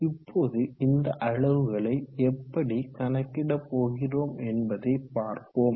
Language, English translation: Tamil, So how do we obtain these quantities